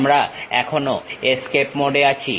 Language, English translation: Bengali, We are still in escape mode